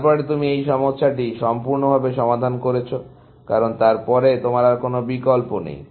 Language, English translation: Bengali, solved the problem, completely, because then, after that, you do not have any more choices left